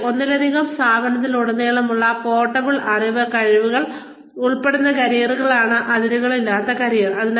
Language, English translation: Malayalam, And, boundaryless careers are careers that include portable knowledge, skills and abilities across multiple firms